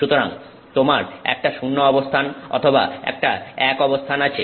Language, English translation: Bengali, So, you have a zero position or a one position